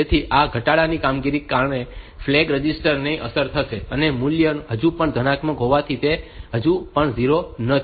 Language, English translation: Gujarati, So, because of this decrement operation, this status register the flag register will get affected, and since the value is still positive it is not yet 0